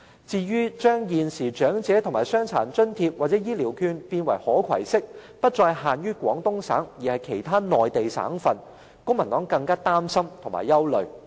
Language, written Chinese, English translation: Cantonese, 至於有建議把現時的長者及傷殘津貼或醫療券變為可攜式，不再限於廣東省，而可以在其他內地省份使用，公民黨認為更令人擔心和憂慮。, Regarding the proposals of allowing the existing elderly and disabled allowances to be portable and expanding the scope of application of the Health Care Vouchers to not just Guangdong Province but also other Mainland provinces the Civic Party has great concern about them